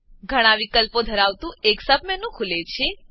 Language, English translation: Gujarati, A sub menu opens with many options